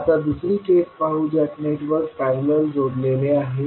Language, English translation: Marathi, Now, let us consider the second case in which the network is connected in parallel